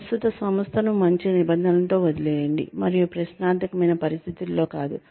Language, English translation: Telugu, Leave your current organization on good terms, and not under questionable circumstances